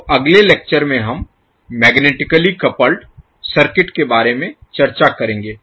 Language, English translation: Hindi, So in the next lecture we will discuss about the magnetically coupled circuits